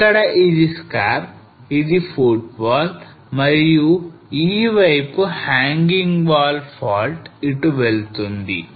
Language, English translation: Telugu, So this is the scarp here this is a footwall and this side is the hanging wall fault run somewhere here